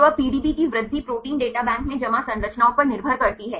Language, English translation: Hindi, So, now, the growth of the PDB depends on the structures deposited in the Protein Data Bank right